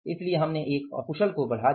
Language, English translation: Hindi, So, we increased 1 unskilled